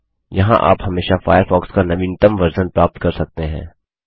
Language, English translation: Hindi, Here, we can always find the latest version of Firefox